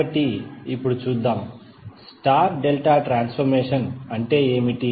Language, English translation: Telugu, So now let us see, what do you mean by star delta transformer, transformation